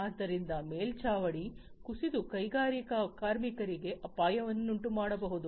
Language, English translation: Kannada, So, it might collapse and cause a hazard to the mining workers